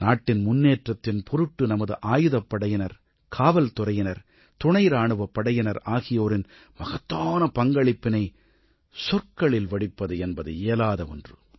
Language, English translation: Tamil, One falls short of words in assessing the enormous contribution of our Armed Forces, Police and Para Military Forces in the strides of progress achieved by the country